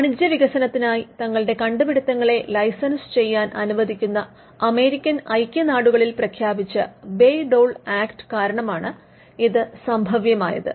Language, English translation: Malayalam, Now, this happened because of a legislation the Bayh Dole Act, which was promulgated in the United States, which allowed universities to license their inventions for commercial development